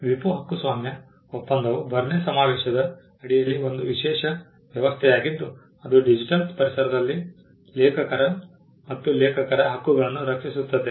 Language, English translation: Kannada, The WIPO copyright treaty was a special arrangement under the Berne convention which protected works and rights of authors in the digital environment